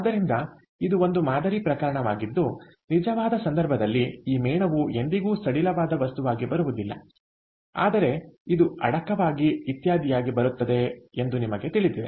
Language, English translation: Kannada, so this is an ideal case, ok, where in a real case, you know this wax will never come as just loose material, it will be encapsulated in something, etcetera